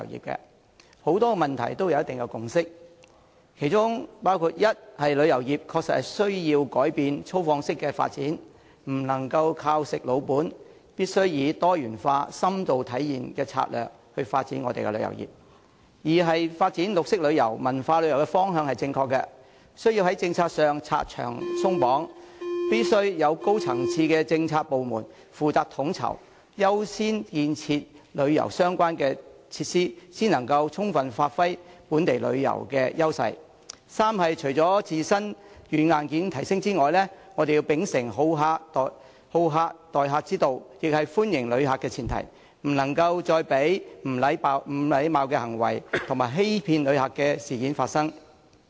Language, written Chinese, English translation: Cantonese, 大家在很多問題上都有一定的共識，其中包括：一，旅遊業確實需要改變粗放式的發展，不能"食老本"，我們必須以多元化、深度體驗的策略發展旅遊業；二，發展綠色旅遊和文化旅遊的方向是正確的，政府必須在政策上拆牆鬆綁，指派高層次的政策部門負責統籌，優先建設旅遊相關設施，才能充分發揮本地旅遊資源的優勢；三，除了提升香港本身的軟、硬件外，我們還要秉承好客之道，這是歡迎旅客的前提，不能再讓不禮貌的行為和欺騙旅客的事件發生。, They share certain views on many issues and their common views include first the tourism industry definitely needs to change its mode of extensive development and should not rest on its laurels and we must adopt diversified in - depth exploration strategies to develop the tourism industry; second developing green tourism and cultural tourism is the right direction; the Government must remove barriers and lift restrictions policy - wise designate a high - level policy department to coordinate efforts and accord priority to the construction of tourism - related facilities with a view to giving full play to the edges of local tourism resources; third apart from upgrading Hong Kongs own software and hardware we must also uphold hospitality as the basis of our approach to welcoming visitors and prevent any discourteous behaviour towards visitors or any incidents of deceiving visitors from occurring again